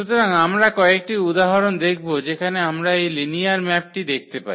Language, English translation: Bengali, So, we go through some of the examples where we do see this linear maps